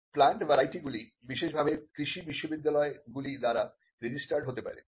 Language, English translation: Bengali, Plant varieties could be registered specially by agricultural universities